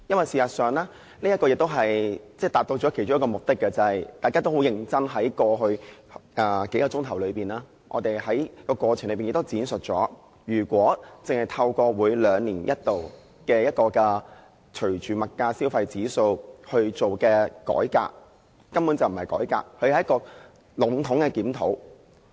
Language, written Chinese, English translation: Cantonese, 事實上，這次亦都達到其中一個目的，就是在過去數小時，大家都很認真地指出，只透過每兩年一度隨着消費物價指數進行的改革，根本不是改革，只是籠統的檢討。, Actually we are also able to achieve one of the objectives this time around . What I mean is that over the past few hours Members pointed out seriously that the biennial reform on the sole basis of the Consumer Price Index CPI was utterly no reform as such and it was rather a general review